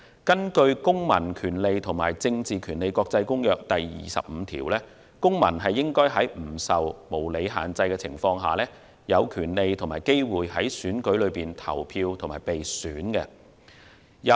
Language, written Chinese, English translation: Cantonese, 根據《公民權利和政治權利國際公約》第二十五條，公民應在不受無理限制下，有權利和機會在選舉中投票及被選。, Under Article 25 of the International Covenant on Civil and Political Rights every citizen shall have the right and the opportunity to vote and to be elected in elections without unreasonable restrictions